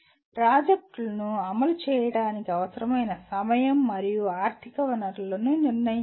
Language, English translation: Telugu, Determine the time and financial resources required to implement a project